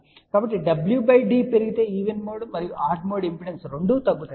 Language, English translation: Telugu, So, we can say that as w by d increases both even mode and odd mode impedance decrease